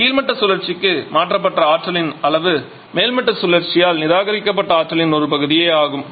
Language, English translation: Tamil, And therefore the amount of energy that has been transferred to the bottoming cycle is only a fraction of the amount of energy rejected by the topping cycle